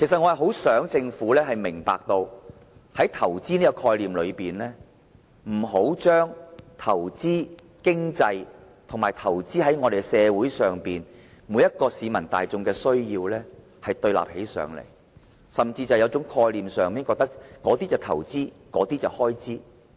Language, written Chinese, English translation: Cantonese, 我很想政府明白，以投資的概念而言，不應把投資在經濟與投資在社會中每位市民的需要對立起來，甚至在概念上認為前者是投資，後者是開支。, I earnestly hope the Government will understand that in the concept of investment investment in the economy and investment in the needs of each member in society should not be made conflicting and the Government should not hold the concept that the former is investment whereas the latter is expenditure